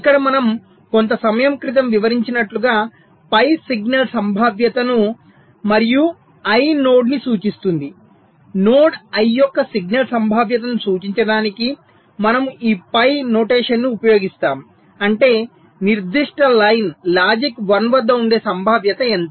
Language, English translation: Telugu, as we have, ah, just explained some time back, we use this notation p i to denote the signal probability of node i, which means what is the probability that the particular line will be at logic one